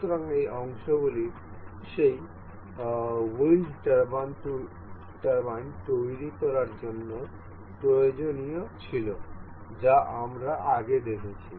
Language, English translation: Bengali, So, these are the parts that were required to build that wind turbine that we have seen earlier